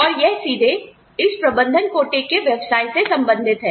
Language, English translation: Hindi, And, this is directly related to this, management quota business